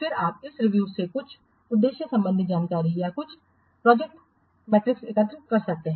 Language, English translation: Hindi, Then you collect some objective information or some project matrix from this review